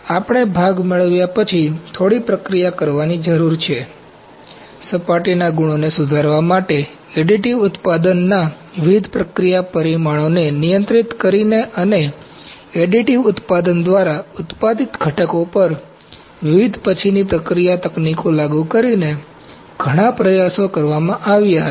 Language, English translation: Gujarati, So, we need to do some processing after getting the part, to improve the surface qualities, several attempts had been made by controlling various process parameters of additive manufacturing and also applying different post processing techniques on components manufactured by additive manufacturing